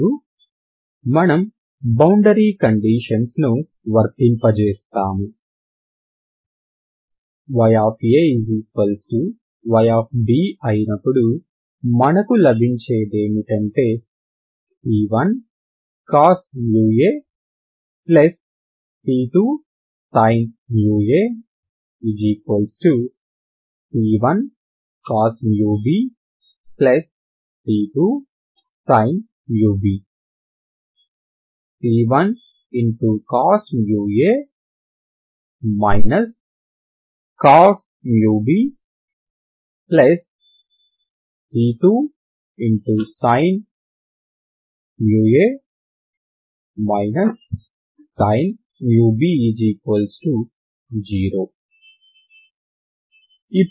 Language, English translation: Telugu, So if you apply this boundary condition so what you get is c1 cos Mu a plus c2 sin Mu a equal to c1 cos Mu b plus c2 sin Mu b